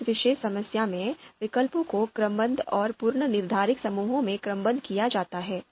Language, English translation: Hindi, So in this particular problem, the alternatives, they are sorted sorted into ordered and predefined groups